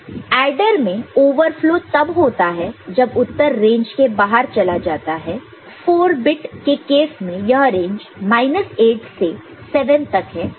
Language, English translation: Hindi, Overflow in an adder occurs when the result goes out of range for 4 bit cases it is minus 8 to 7